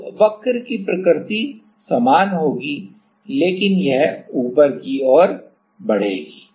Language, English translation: Hindi, So, the nature of the curve will be same, but it will move upward right